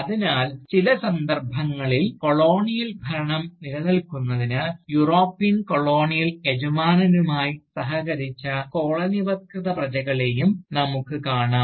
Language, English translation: Malayalam, So, in some cases, we see Colonised subjects, collaborating with the European Colonial Masters, to perpetuate the Colonial rule